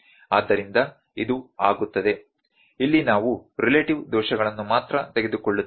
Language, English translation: Kannada, So, this becomes, here we will just take the relative errors only